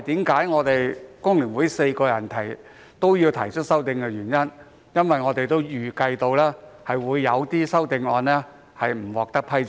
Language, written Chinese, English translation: Cantonese, 工聯會4位議員均有提出修正案，原因是我們預計其中一些修正案未能獲得批准。, All four FTU Members have proposed amendments because we anticipated that some of them would not be approved